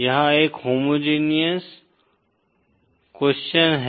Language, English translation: Hindi, This is a homogeneous a question